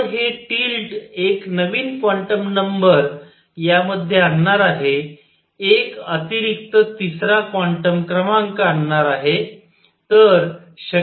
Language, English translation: Marathi, So, these tilt is going to bring in a new quantum number, and additional third quantum number